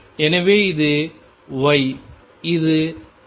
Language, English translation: Tamil, So, this is my y, this is x